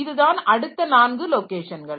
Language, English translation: Tamil, Then this is the next 4 locations